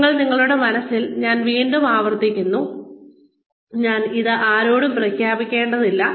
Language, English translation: Malayalam, Again, in your own mind, again I am repeating, you do not need to declare this to anyone